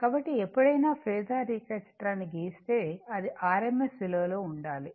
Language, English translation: Telugu, So, whenever you will draw phasor diagram, it should be in rms value